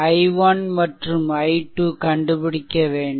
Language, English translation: Tamil, And you have to solve for i 1 and i 2